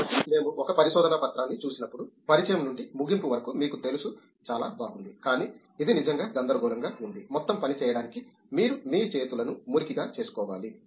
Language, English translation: Telugu, So when we see a research paper it look’s very nice you know from introduction to conclusion, but it’s really messy you have to get your hands dirty to do the whole job